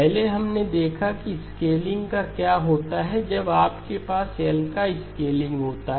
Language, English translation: Hindi, Previously we looked at what happens to a scaling when you have a scaling of L